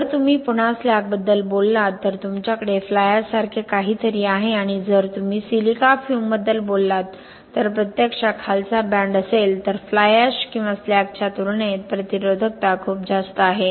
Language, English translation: Marathi, If you talk about slag again you have something very similar to fly ash and if you have talk about silica fume actually the lower band is there is noÖthe resistivity is much higher compared to fly ash or slag